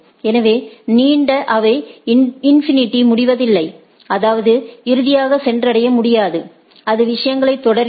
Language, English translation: Tamil, So, long they do not end up in a infinity; that means, non reachability finally, it goes on the things